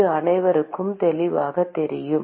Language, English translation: Tamil, Is that clear to everyone